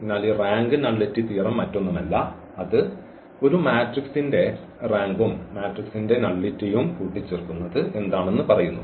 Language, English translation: Malayalam, So, this rank nullity theorem is nothing but it says that the rank of a matrix plus nullity of the matrix